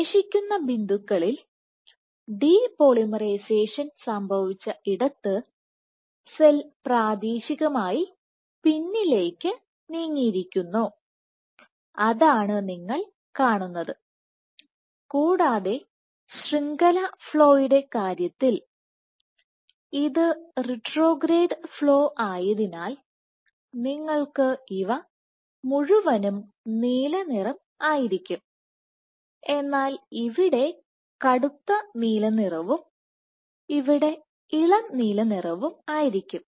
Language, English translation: Malayalam, Remaining points, let us say where depolymerization has happened the cell has the locally the cell has moved backward, so that is what you see and for in terms of network flow because it is retrograde flow you will have blue throughout, but deep blue here and then lighter blue shades here